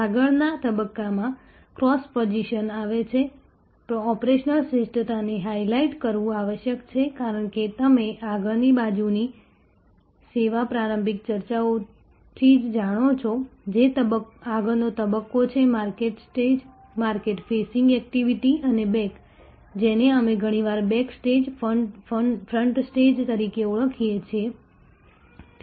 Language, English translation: Gujarati, In the next stage, cross position comes operational excellence must highlight as you know right from the early discussions in service the front side, which is the front stage the market stage, market facing activities and the back, which we often called back stage, front stage